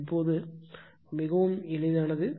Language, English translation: Tamil, So, now, very easy it is just see